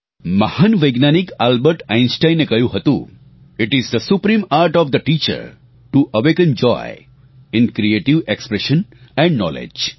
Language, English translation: Gujarati, The great scientist Albert Einstein said, "It is the supreme art of the teacher to awaken joy in creative expression and knowledge